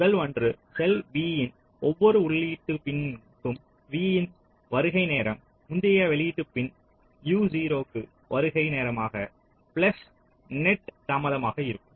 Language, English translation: Tamil, the first one is you are saying that for every input pin of cell v, the arrival time at v i will be the arrival time at the previous output pin u zero plus the net delay